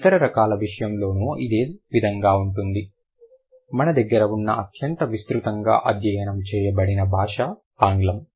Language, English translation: Telugu, Same is the case with the other language, one of the most widely studied language that we have is English